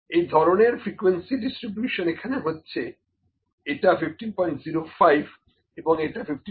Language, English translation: Bengali, So, this kind of frequency distribution is here 15